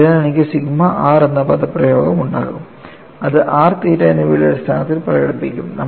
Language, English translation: Malayalam, So, I will have expression for sigma r, which would be expressed in terms of r and theta; that is a way we have always been looking at